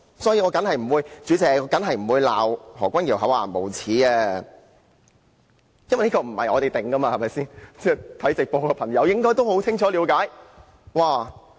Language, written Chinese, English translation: Cantonese, 代理主席，我當然不會罵何君堯議員厚顏無耻，因為這不是由我們定奪的，有收看直播的朋友應該清楚了解。, Deputy President I will definitely not chide Dr Junius HO for being shameless as I am not in a position to say so . People who are watching the live television broadcast should have a clear picture